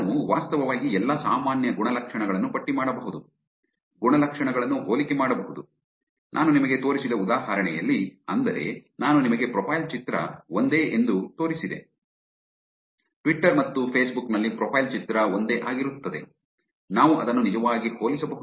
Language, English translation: Kannada, Compare the attributes, which I think in the example that I showed you, I showed you profile picture being same, profile picture being same on Twitter and on Facebook, we can actually compare that